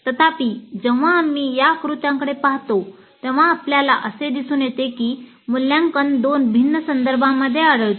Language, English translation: Marathi, However, when we look into this diagram, we see that evaluate occurs in two different contexts